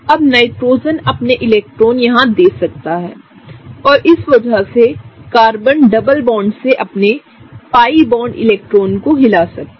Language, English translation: Hindi, Now, the Nitrogen can donate its electrons here and that will make this particular Carbon move its pi bond from that double bond in between, right